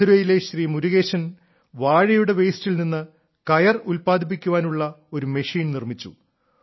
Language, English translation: Malayalam, Like, Murugesan ji from Madurai made a machine to make ropes from waste of banana